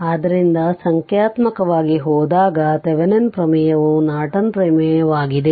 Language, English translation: Kannada, So, with this we have learned Thevenin theorem and Norton theorems